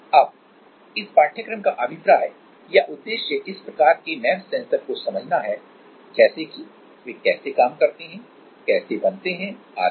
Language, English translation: Hindi, Now, the idea or the objective of this course is to get familiar with this kind of sensors like how do they work, how are they made etc